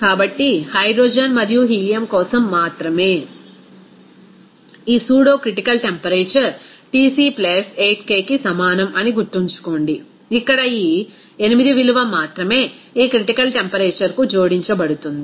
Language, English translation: Telugu, So, remember that for only hydrogen and helium, this pseudocritical temperature will be is equal to Tc + 8 K, here only this value of 8 it will be added to this critical temperature